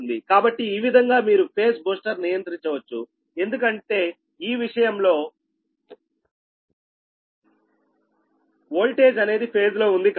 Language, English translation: Telugu, what you call this is call in phase booster, right, because the voltage are in phase in this case, right